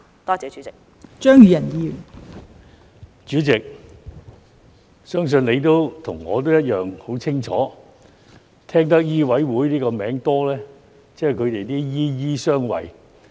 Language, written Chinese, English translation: Cantonese, 代理主席，相信你和我一樣很清楚，聽得醫委會這個名稱多，即"醫醫相衞"。, Deputy President I believe you and I are well aware and have often heard this name of MCHK ie